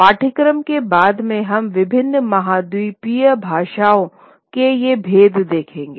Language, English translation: Hindi, Later on in the course we will look at these distinctions of the various continental languages